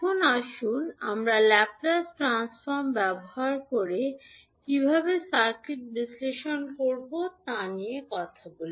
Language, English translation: Bengali, Now, let us talk about how we will do the circuit analysis using Laplace transform